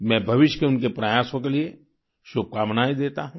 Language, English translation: Hindi, I wish her all the best for her future endeavours